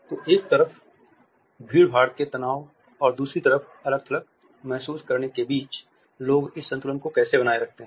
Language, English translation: Hindi, So, how do people kind of maintain this balance between crowding stress on the one hand and feeling isolated on the other